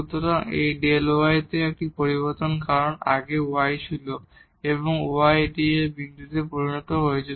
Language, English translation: Bengali, So, that is a change in delta y because earlier the y was this one and now the y has become this one here at this point